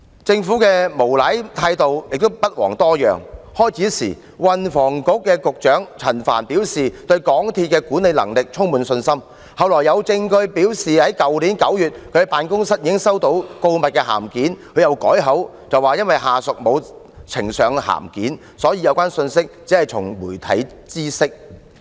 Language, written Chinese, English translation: Cantonese, 政府的無賴態度也不遑多讓，運輸及房屋局局長陳帆最初表示對港鐵公司的管理能力充滿信心，後來有證據顯示其辦公室在去年9月已經收到告密函件，他又改口說因為下屬沒有呈上函件，所以只從媒體知悉有關信息。, The Government has similarly played rascal . Frank CHAN the Secretary for Transport and Housing originally said that he was fully confident of MTRCLs management capabilities . Later when there was evidence indicating that his office had received a whistleblowing letter in September last year he then corrected himself that he learnt about the incident only from the media because his subordinates had not submitted the letter to him